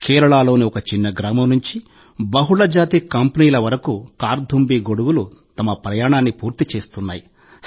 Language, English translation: Telugu, Today Karthumbi umbrellas have completed their journey from a small village in Kerala to multinational companies